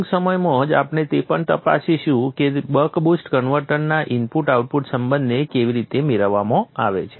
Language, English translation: Gujarati, Shortly we will also look into that how to obtain the input output relationship of the buck boost converter